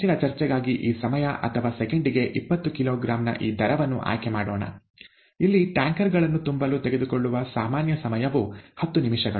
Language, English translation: Kannada, For further discussion, let us choose this time or this rate, twenty kilogram per second; ten minutes is the usual time that it takes to fill tankers here